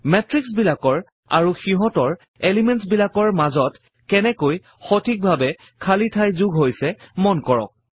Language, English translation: Assamese, Notice how the matrices and their elements are well spaced out